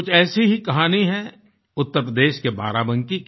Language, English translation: Hindi, A similar story comes across from Barabanki in Uttar Pradesh